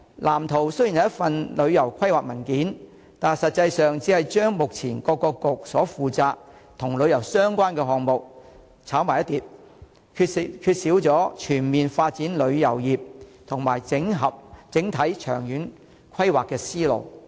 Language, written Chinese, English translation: Cantonese, 藍圖雖然是一份旅遊規劃文件，但實際上只是把目前由各政策局所負責與旅遊相關的項目"炒埋一碟"，缺少全面發展旅遊業和整體長遠規劃的思路。, While the Blueprint is a paper on the planning of tourism it is actually a hotchpotch of tourism - related projects currently under the charge of respective Policy Bureaux without presenting comprehensive views on the development of tourism and overall planning in the long term